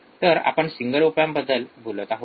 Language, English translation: Marathi, So, we are talking about just a single op amp